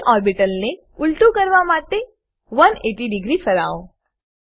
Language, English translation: Gujarati, Rotate the p orbital to 180 degree to flip it upside down